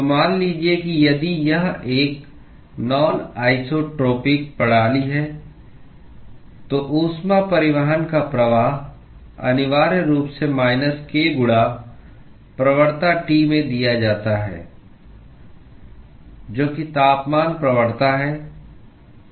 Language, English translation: Hindi, So, suppose if it is a non isotropic system, then the flux of heat transport is essentially given by minus k into gradT, which is the temperature gradient